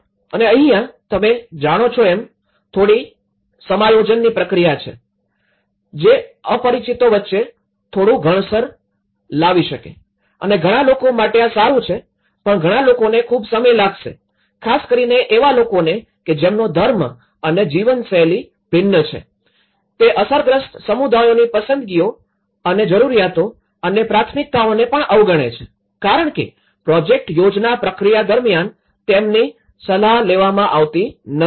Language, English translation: Gujarati, And that also have a little adjustment process you know, that takes some friction between different strangers and for some people it is good but for some people it takes a long time and who have a different religious and lifestyles, it also disregards the preferences and needs and priorities of the affected communities because they are not consulted in the project planning process